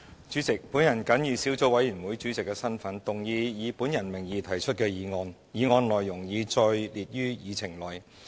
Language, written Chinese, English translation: Cantonese, 主席，我謹以小組委員會主席的身份，動議以我名義提出的議案，議案內容已載列於議程內。, President in my capacity as Chairman of the Subcommittee I move that the motion under my name as printed on the Agenda be passed